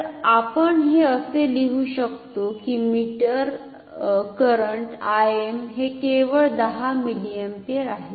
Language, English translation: Marathi, So, we can write that I m that is this current meter current only 10 milliampere